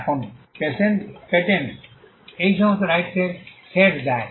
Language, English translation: Bengali, Now, patents offer all these sets of rights